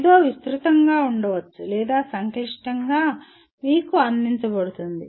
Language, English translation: Telugu, Something may be elaborate or complex is presented to you